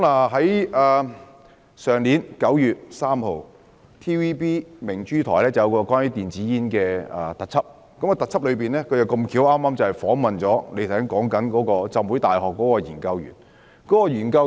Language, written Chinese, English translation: Cantonese, 去年9月3日 ，TVB 的頻道明珠台播放一個關於電子煙的特輯，該節目剛巧訪問了有份參與局長提到由香港浸會大學進行的化驗的研究員。, On 3 September last year a special programme on e - cigarettes was broadcast on Pearl of the Television Broadcasts Limited . The programme happened to have interviewed the researcher who participated in the tests conducted by the Hong Kong Baptist University which the Secretary has referred to